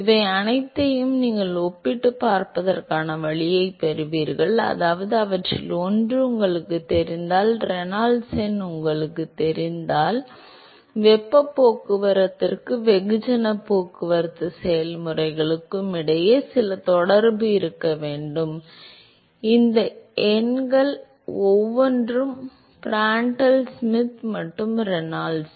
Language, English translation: Tamil, You get a way by which you can compare all these which means that if you know one of them, if you know Reynolds number there has to be some relationship between the heat transport and the mass transport processes, each of these numbers Prandtl Schmidt and Reynolds number, they independently characterize each of the transport processes